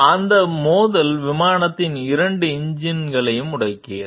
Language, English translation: Tamil, That collision disabled both of the plane s engines